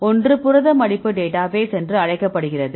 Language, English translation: Tamil, So, one is called the protein folding database